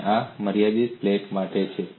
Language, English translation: Gujarati, And this is for a finite plate